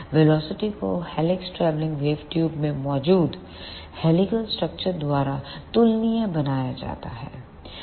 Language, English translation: Hindi, The velocity of is made comparable by the helical structure present in the helix travelling wave tube